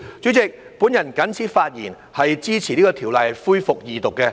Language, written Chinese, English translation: Cantonese, 主席，我謹此發言，支持恢復二讀《條例草案》。, President with these remarks I support the resumption of the Second Reading of the Bill